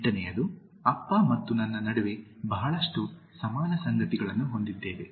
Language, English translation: Kannada, 8) Dad and I have a lot of things in common between us